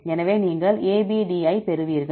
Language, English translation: Tamil, So, you get the ABD